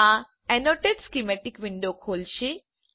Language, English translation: Gujarati, This will open the Annotate Schematic window